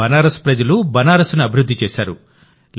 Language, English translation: Telugu, The people of Banaras have made Banaras